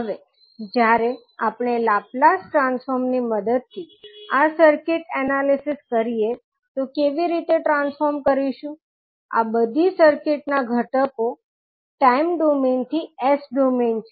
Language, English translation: Gujarati, Now, while doing this circuit analysis using laplace transform how we will transform, these are circuit elements from time domain to s domain for register it, there will not be any change